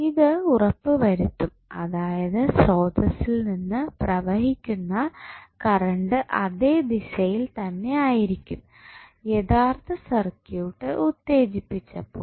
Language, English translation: Malayalam, So, this will make sure that the current which is flowing from the source would be in the same direction as if it was there even the original circuit was energized